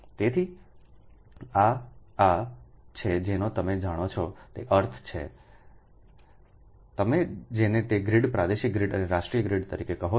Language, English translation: Gujarati, so these are the, these are the meaning of this ah, you know your what you call that grid, regional grid and national grid